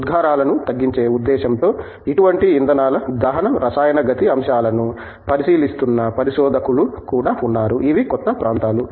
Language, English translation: Telugu, There are also researchers, who are looking at chemical kinetic aspects of combustion of such fuels with the view to reducing the emissions so, these are new areas